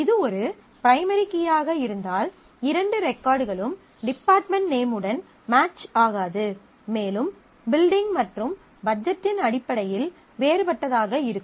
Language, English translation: Tamil, If it is a primary key, then no two records can match on the department name and be different in terms of the building and the budget